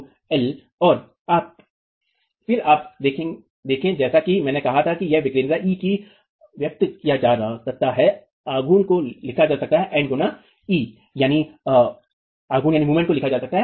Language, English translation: Hindi, And then you see that this can be expressed, eccentricity, E itself, as I said, the moment is written as N into E